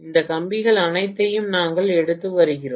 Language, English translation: Tamil, And we are taking all of these wires